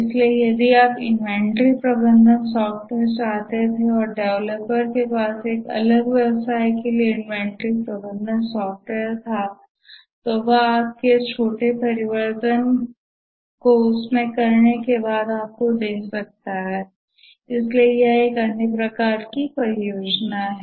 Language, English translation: Hindi, So, you wanted an inventory management software and the developer had inventory management software for a different business and had to make small changes and then give it to you